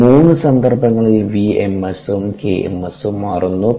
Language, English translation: Malayalam, and in these three cases the v ms and k ms change